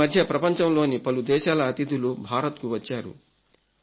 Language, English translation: Telugu, These days many guests from foreign countries have arrived in India